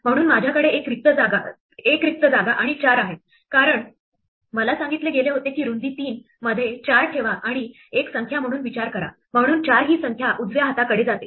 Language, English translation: Marathi, So I have a blank space, a blank space and a 4, because I was told to put 4 in a width of 3 and think of it as a number, so since its number it goes to right hand